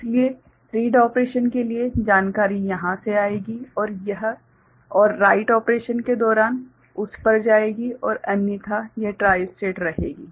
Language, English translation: Hindi, So, information will come from here for read operation and will go to it during write operation and otherwise it will remain tristated ok